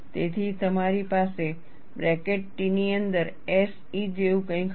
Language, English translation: Gujarati, So, you will have something like SE within bracket T